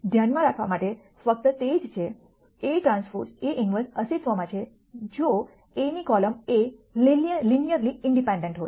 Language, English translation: Gujarati, The only thing to keep in mind is that A transpose A inverse exists if the columns of A are linearly independent